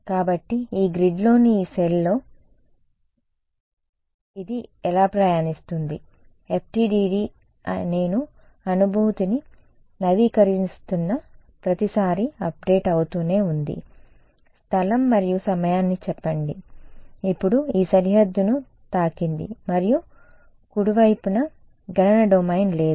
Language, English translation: Telugu, So, how is it traveling its traveling on the Yee cell on the Yee grid FDTD is updating every time I am updating moving the feels let us say a space and time, now hits this boundary and there is no computational domain to the right